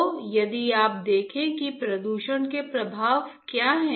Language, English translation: Hindi, So, if you see what are the health effects of pollution right